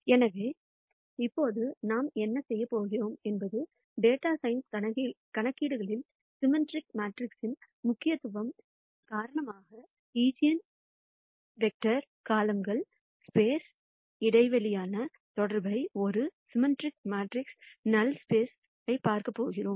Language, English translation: Tamil, So, what we are going to do right now is, because of the importance of symmetric matrices in data science computations, we are going to look at the connection between the eigenvectors and the column space a null space for a symmetric matrix